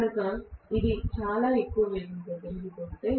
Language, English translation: Telugu, So if it is rotating at a very high speed